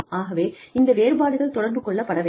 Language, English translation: Tamil, So, you know, these differences need to be communicated